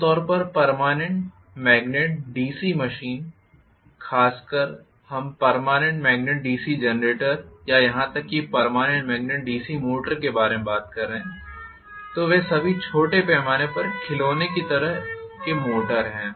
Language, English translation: Hindi, Generally, permanent magnet DC machine, especially if we are talking about permanent magnet DC generator or even permanent magnet DC motor they are all small scale toy kind of motors